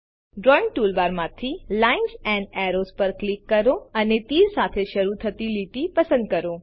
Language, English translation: Gujarati, From the Drawing toolbar gtgt click on Lines and Arrows and select Line Starts with Arrow